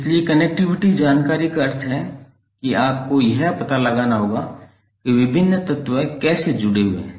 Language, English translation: Hindi, So connectivity information means you need to find out how the various elements are connected